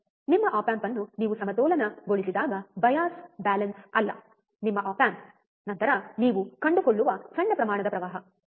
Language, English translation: Kannada, When you balanced your op amp, not bias balance, your op amp, then the small amount of current that you find, right